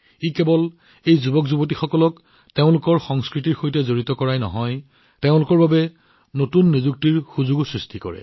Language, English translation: Assamese, With this, these youth not only get connected with their culture, but also create new employment opportunities for them